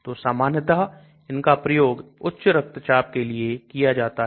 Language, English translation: Hindi, So normally this is given for high blood pressure